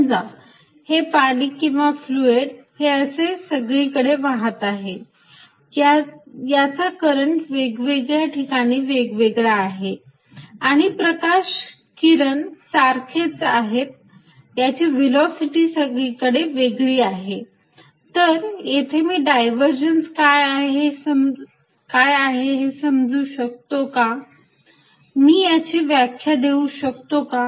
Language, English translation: Marathi, So, let us say this water or a fluid is flowing and all over the place it has a different current at different points and looks like light rays diverging that this velocity also diverging can we understand what this divergence means, can I give it definite meaning